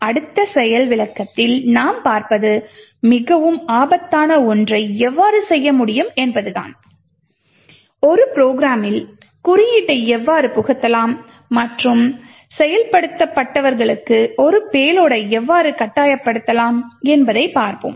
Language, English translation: Tamil, In the next demonstration what we will see is how we could do something which is more dangerous, we would see how we could actually inject code into a program and force a payload to the executed